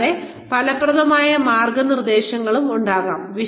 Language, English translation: Malayalam, And, there could be effective mentoring